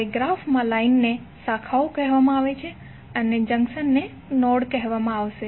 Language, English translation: Gujarati, Now lines in the graph are called branches and junction will be called as node